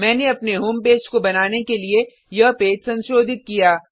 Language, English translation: Hindi, I have modified this page to create our home page